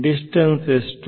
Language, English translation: Kannada, So, what is the distance